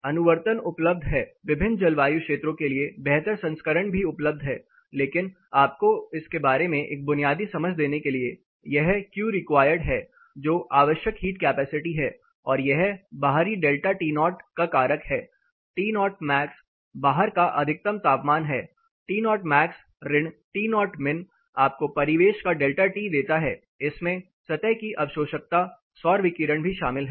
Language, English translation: Hindi, (Refer Slide Time: 07:48) There are follow ups which are available in improved versions for different climatic zones are also available, but to give you a basic understanding of it this is Q require that is the heat capacity required is a factor of the outside delta To max that is outside temperature air temperature dry bulb temperature maximum minus temperature minimum this give you the ambient delta T plus it also includes the absorptivity of the surface and the solar intensity; that is the solar radiation here